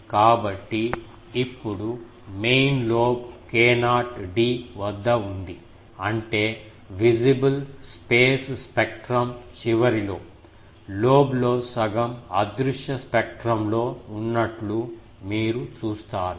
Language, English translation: Telugu, So, now the main lobe is at k not d u not k not d; that means, just at the end of the visible space spectrum, you see half of the lobe is in the invisible spectrum ok